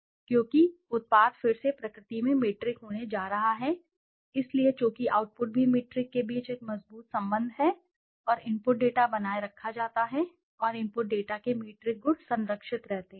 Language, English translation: Hindi, Why, because the output is going to be metric in nature again, so since the output is also metric a stronger relationship between the output and the input data is maintained and the metric qualities of the input data preserved